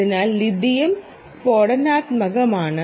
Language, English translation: Malayalam, so lithium is an explosive